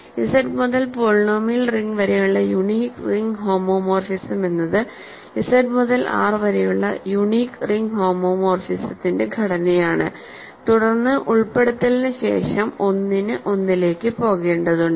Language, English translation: Malayalam, So, the unique ring homomorphism from Z to the polynomial ring is simply the composition of the unique ring homomorphism from Z to R and then followed by the inclusion because, 1 has to go to 1